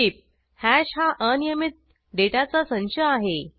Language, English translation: Marathi, Note: Hash is an unordered collection of data